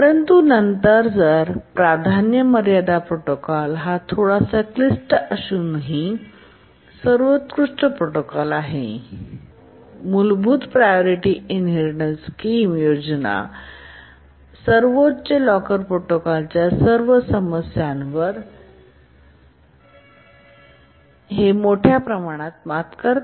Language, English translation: Marathi, But then the priority sealing protocol is the best protocol even though it is slightly more complicated but it overcomes largely overcomes all the problems of the basic priority inheritance scheme and the highest locker protocol